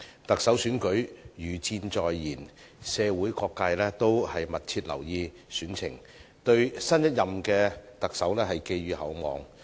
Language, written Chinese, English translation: Cantonese, 特首選舉如箭在弦，社會各界都密切留意選情，對新一任特首寄予厚望。, As the Chief Executive election is fast approaching various social sectors are keeping a close watch on this election while cherishing high expectations for the new Chief Executive